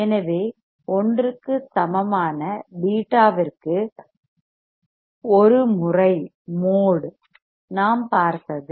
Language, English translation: Tamil, So, mode of a into beta equal to 1 that is what we have seen